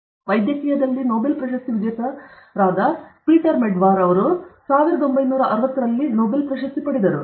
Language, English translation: Kannada, So, Peter Medawar, Nobel Laureate in medicine, in 1960 he got the Nobel prize